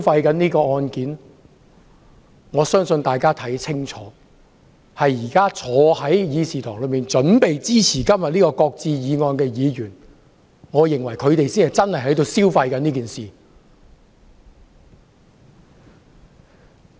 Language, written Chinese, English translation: Cantonese, 大家看得很清楚，現在坐在會議廳內準備支持今天這項"擱置議案"的議員才是在消費這件事。, As we can all clearly see Members sitting in this Chamber who are prepared to support the motion to shelve the amendment bill today are exactly piggybacking on this incident